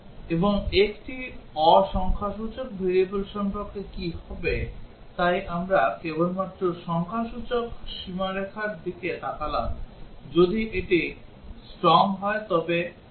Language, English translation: Bengali, And what about a non numerical variable, so we looked at only numerical boundaries what if it is a string